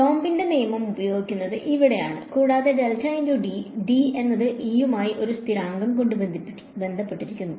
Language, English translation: Malayalam, Using Coulomb’s law right because del dot D over here, del dot D and D is related to E just by a constant